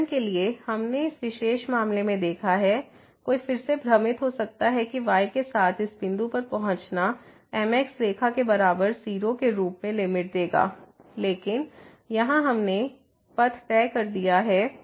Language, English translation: Hindi, For example, we have seen in this particular case, one might again get confused that approaching to this point along is equal to line will also give limit as 0, but here we have fixed the path